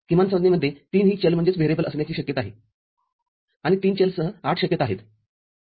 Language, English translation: Marathi, The minterms will be having all the three variables and the possibilities are 8 with three variables